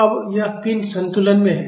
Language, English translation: Hindi, So, now, this body is in equilibrium